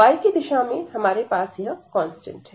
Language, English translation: Hindi, In the direction of y, we have this constant